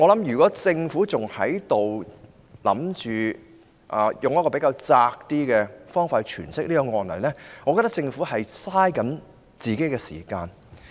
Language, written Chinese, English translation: Cantonese, 如果政府還打算用較狹窄的方法詮釋這案例，我便會認為政府正在浪費時間。, If the Government still intends to stick to such a narrow interpretation of the case I will have to say that it is just wasting time